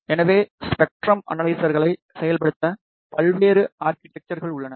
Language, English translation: Tamil, So, there are various architectures available to implement spectrum analyzers